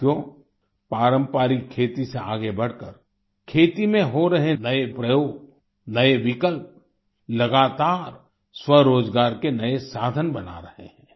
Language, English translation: Hindi, moving beyond traditional farming, novel initiatives and options are being done in agriculture and are continuously creating new means of selfemployment